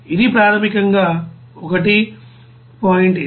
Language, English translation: Telugu, So this is basically 1